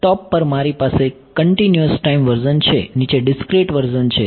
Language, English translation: Gujarati, On top, I have the continuous time version bottom is the discrete version right